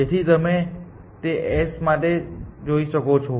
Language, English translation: Gujarati, So, you can see that for s